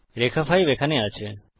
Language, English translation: Bengali, Line 5 is here